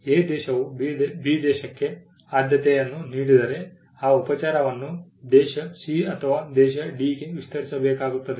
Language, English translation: Kannada, If country A offers a preferential treatment to country B then that treatment has to be extended to country C or country D as well